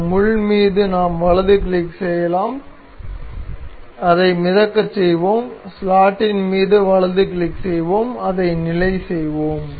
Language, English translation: Tamil, We can right click on on this pin, we will make it float and we will right click over the slot and we will make it fixed